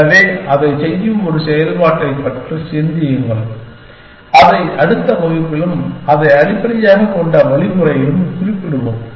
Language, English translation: Tamil, So, think about a function which will do that and we will specify it in the next class and the algorithm which is based on that